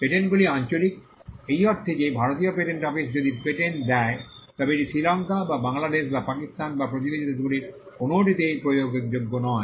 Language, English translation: Bengali, Patents are territorial, in the sense that if the Indian patent office grants a patent, it is not enforceable in Sri Lanka or Bangladesh or Pakistan or any of the neighboring countries